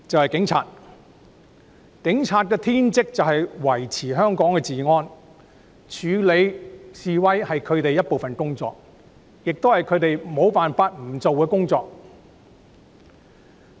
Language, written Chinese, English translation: Cantonese, 警察的天職是維持香港治安，處理示威是他們工作的一部分，是不能推卸的責任。, The Police are duty - bound to maintain law and order in Hong Kong with the handling of protests being an unshirkable responsibility and part and parcel of their job